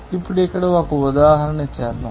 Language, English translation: Telugu, Now, let us do an example here